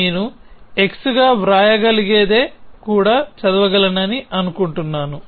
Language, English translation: Telugu, I think which we can also read as write as x which is the same thing